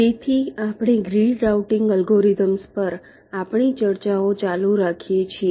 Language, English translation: Gujarati, so we continue with our discussions on the grid routing algorithms